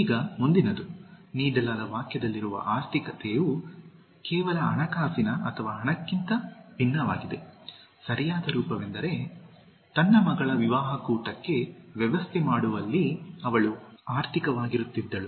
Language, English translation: Kannada, Now, the next one, economical is different from just financial or money as in the sentence that was given, the correct form is, She was economical in arranging for the wedding party of her daughter